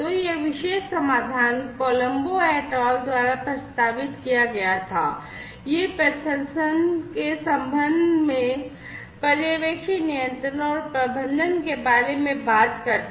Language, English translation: Hindi, So, this particular solution was proposed by Colombo et al, talks about supervisory control and management in the context of processing